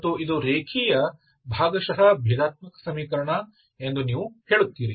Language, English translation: Kannada, And you say that this is a linear partial differential equation